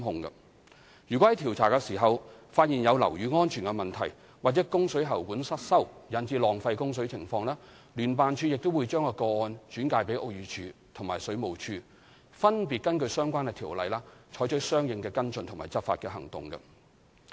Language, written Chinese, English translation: Cantonese, 如果在調查時發現樓宇有安全問題，或供水喉管失修引致浪費供水情況，聯辦處亦會將個案轉介屋宇署及水務署，分別根據相關條例，採取相應跟進及執法行動。, If a building safety problem or waste of water caused by defective water supply pipes is found during investigation JO will also refer the case to BD and the Water Supplies Department for follow - up and enforcement action in accordance with relevant legislation